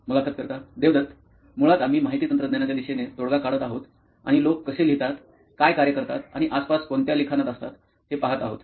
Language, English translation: Marathi, Devdat, basically we are working on solution towards IT and looking at how, where people write, what activities go in and around writing, basically